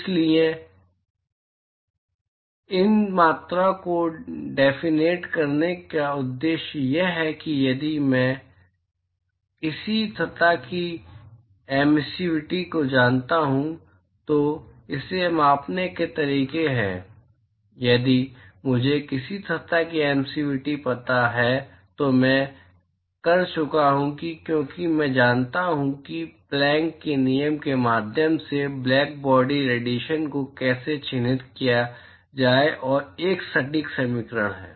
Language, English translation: Hindi, So, the purpose of defining these quantities is if I know the emissivity of a surface, there are ways to measure this so, if I know the emissivity of a surface I am done because I know how to characterize the blackbody radiation via the Planck’s law which is an exact equation